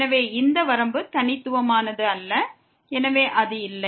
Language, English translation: Tamil, So, this limit is not unique and hence it does not exist